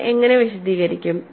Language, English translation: Malayalam, How do you go and explain it